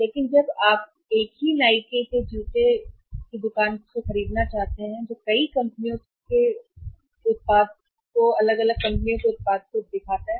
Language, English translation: Hindi, But when you want to buy the same to same Nike shoes from a store which keeps the product of multiple companies are different companies